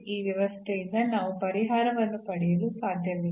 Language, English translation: Kannada, So, we cannot get a solution out of this system